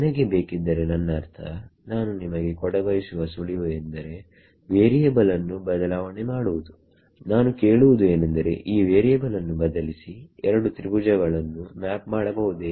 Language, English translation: Kannada, If I want so I mean the hint I am trying to lead you towards is change of variables, is there a change of variables that can map the 2 triangles to each other this what I am asking